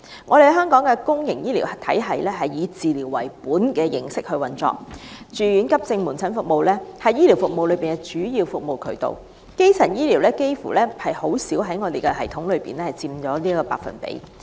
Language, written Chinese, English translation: Cantonese, 我們的公營醫療體系是以治療為本的形式運作，住院、急症及門診服務是醫療服務的主要組成部分，基層醫療在系統中僅佔極低的百分比。, Our public healthcare system is operated on a treatment - oriented basis with inpatient accident and emergency as well as outpatient services forming the major components of healthcare services while primary healthcare services make up only a very small percentage of services provided under the system